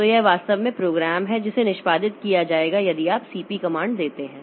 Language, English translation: Hindi, So, this is actually the program that will be executed if you give the CP comment